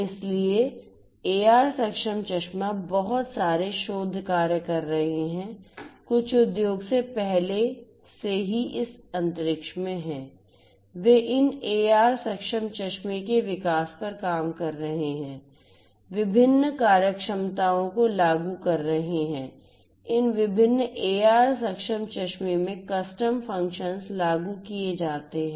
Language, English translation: Hindi, So, AR enabled glasses you know lot of research work is going on some industries are already in this space they are working on development of these AR enabled glasses, implementing different different functionalities, custom functionalities are implemented in these different different AR enabled glasses